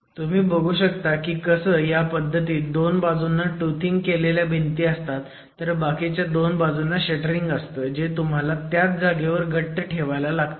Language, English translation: Marathi, So, you can see how in this construction you have the tooth joint at the two sides and shuttering on the two edges which then has to be held in position